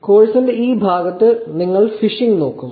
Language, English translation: Malayalam, In this part of the course you will actually look at phishing